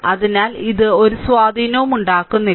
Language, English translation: Malayalam, So, that is why it has it is not making any impact